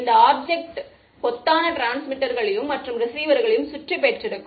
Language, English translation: Tamil, It surround this object by bunch of transmitters and a bunch of receivers